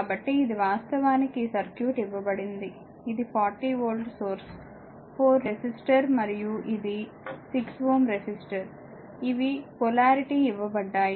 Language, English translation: Telugu, So, this is actually the circuit is given, this is the 40 volt source 4 ohm resistor and this is 6 ohm resistor these are the polarity is given